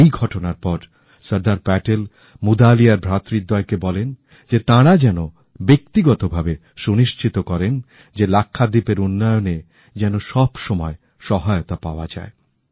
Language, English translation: Bengali, After this incident, Sardar Patel asked the Mudaliar brothers to personally ensure all assistance for development of Lakshadweep